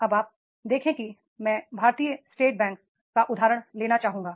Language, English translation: Hindi, Now you see that is I would like to take the example of the SBA, State Bank of India